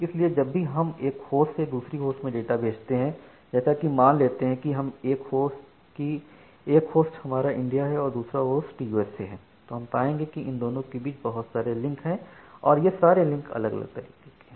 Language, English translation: Hindi, So, you need to remember that, whenever you are trying to transfer data from one end host to another end host, say this host is India and this host is in US, in between you have multiple such links and different links may be of different types